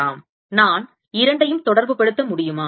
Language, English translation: Tamil, can i relate the two